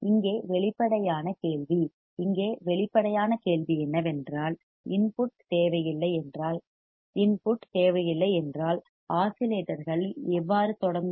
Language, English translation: Tamil, The obvious question here is the obvious question here is that if no input is required if no input is required, how will oscillations start